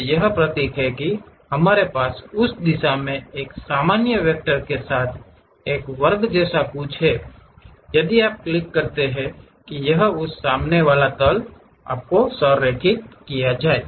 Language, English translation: Hindi, So, this is the symbol what we have something like a square with normal vector pointing in that direction if you click that it will align to that front plane